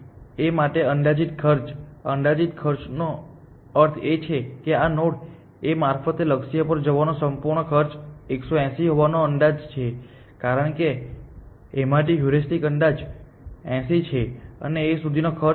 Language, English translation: Gujarati, A has estimated cost now, estimated cost we mean the complete cost of going to the goal via this node A is estimated to be 180 because, the heuristic estimate from A is 80 and the